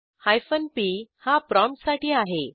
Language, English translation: Marathi, Hyphen p is for prompt